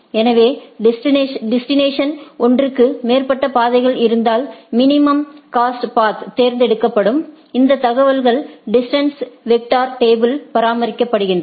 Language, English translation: Tamil, So, if there are more than one path for the destination the minimum cost path will be taken these information is maintained in a distance vector table right